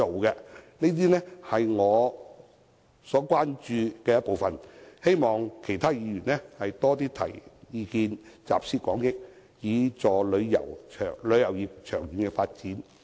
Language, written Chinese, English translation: Cantonese, 以上是我關注的部分事宜，希望其他議員多些提出意見，集思廣益，以助旅遊業的長遠發展。, The above are some of my concerns . I hope fellow Members will raise more views to pool wisdom to facilitate the long - term development of the tourism industry